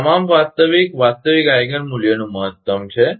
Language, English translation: Gujarati, That is maximum of all the real real Eigen value